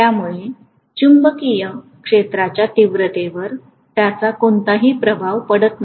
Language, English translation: Marathi, So that is not having any influence on the magnetic field intensity